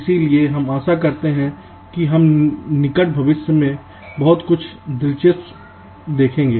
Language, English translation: Hindi, so lets hope that will see something very interesting in the near future